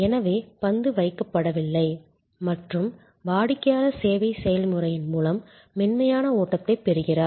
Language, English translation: Tamil, So, that the ball is not dropped and the customer gets a feeling of a smooth flow through the service process